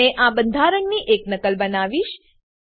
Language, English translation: Gujarati, I will make a copy of this structure